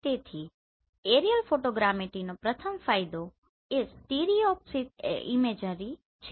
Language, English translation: Gujarati, So first advantage of aerial photogrammetry is stereoscopic imagery